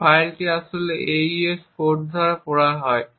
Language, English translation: Bengali, This file is actually read by the AES code and it is used during the encryption